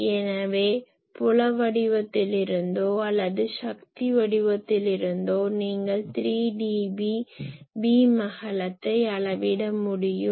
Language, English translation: Tamil, So, either from the field pattern or from the power pattern, you can quantify the 3 d B beam width